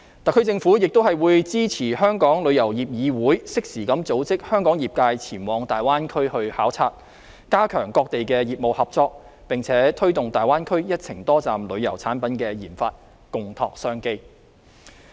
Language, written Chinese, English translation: Cantonese, 特區政府亦會支持香港旅遊業議會適時地組織香港業界前往大灣區考察，加強各地業務合作，並推動大灣區一程多站旅遊產品的研發，共拓商機。, The SAR Government will also support the Travel Industry Council of Hong Kong to conduct timely tours in the Greater Bay Area for Hong Kongs tourism operators with a view to enhancing the business cooperation of all sides promoting the development of multi - destination tourism products in the Greater Bay Area and jointly exploring business opportunities